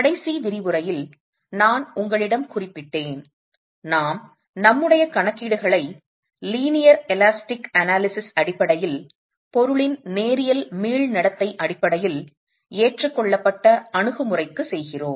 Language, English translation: Tamil, And I did mention to you in the last lecture that we make our calculations for the adopted approach based on linear elastic analysis, linear elastic behavior of the material